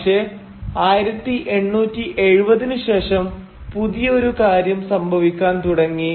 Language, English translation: Malayalam, But during the late 1870’s something new started happening